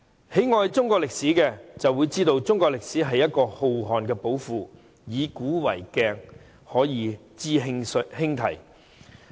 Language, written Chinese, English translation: Cantonese, 喜愛中國歷史的人，會知道中國歷史是一個浩瀚的寶庫，"以古為鏡，可以知興替"。, Chinese history lovers must know that the history of China is an immense treasure . As the old saying goes Using history as a mirror one can know the rise and fall of dynasties